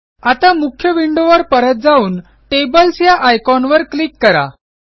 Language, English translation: Marathi, Now, let us go back to the main window and click on the Tables Icon again